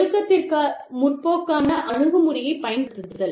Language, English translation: Tamil, Using a non progressive approach to discipline